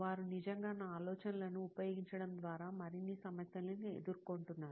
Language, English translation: Telugu, They are actually going through more problems by using my ideas